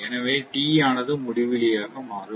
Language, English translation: Tamil, So, let me T tends to infinity